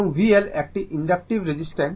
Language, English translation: Bengali, And v L this is the inductive reactance